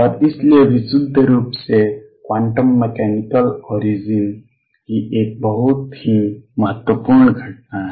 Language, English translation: Hindi, And so, is a very important phenomena purely of quantum mechanical origin